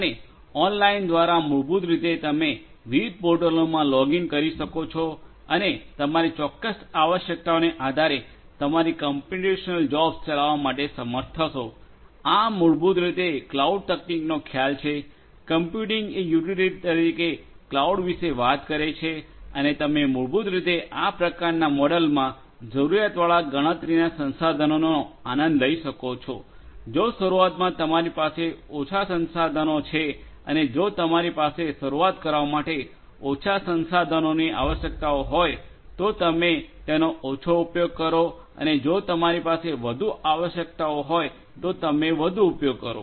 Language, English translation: Gujarati, And through online basically you would be able to login to different portals and be able to run your computational jobs based on your certain requirements, this is basically the concept of cloud computing; computing as utility is what cloud talks about and you basically can enjoy in this kind of model as much of computational resources that you need, if you have less resources to start with, if you have requirements for less resources to start with you use less if you have more requirements you use more you know